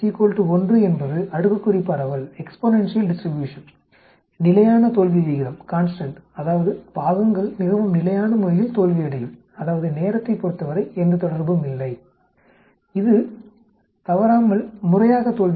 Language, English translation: Tamil, Beta is equal to 1 is exponential distribution, constant failure rate that means parts will fail in a very constant manner, there is no relationship with respect to time at all, it will keep on failing regularly